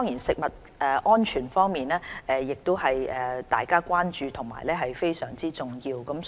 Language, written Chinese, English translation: Cantonese, 食物安全亦是大家關注和非常重要的範疇。, Food safety an area of vital importance is another concern of ours